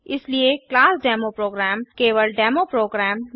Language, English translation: Hindi, Hence the class Demo Program can exist only in the file Demo program